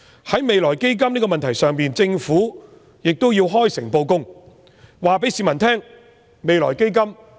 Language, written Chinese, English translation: Cantonese, 在未來基金的問題上，政府亦要開誠布公，告訴市民如何運用未來基金。, Regarding issues of the Future Fund the Government should be open and transparent and tell the public how the Future Fund will be used